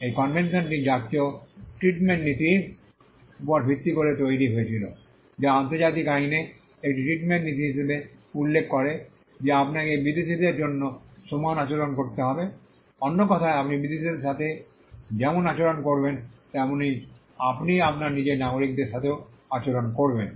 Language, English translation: Bengali, The convention was based on the national treatment principle which is a treatment principle in international law stating that you have to extend equal treatment for foreigners, in other words you would treat foreigners as you would treat your own nationals